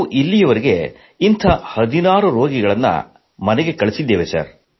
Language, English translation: Kannada, So far we have managed to send 16 such patients home